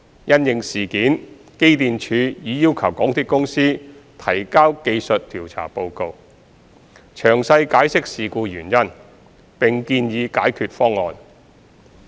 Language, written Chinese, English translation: Cantonese, 因應事件，機電署已要求港鐵公司提交技術調查報告，詳細解釋事故原因，並建議解決方案。, In response to this incident EMSD requested MTRCL to submit a technical investigation report to explain in detail the causes of the incident and to propose remedial measures